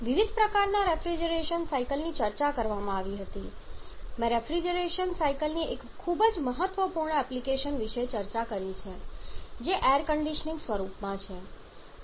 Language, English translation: Gujarati, Different kinds of reflection cycles were discussed I also have discussed about one very important application of refrigeration cycle which is in the form of air conditioning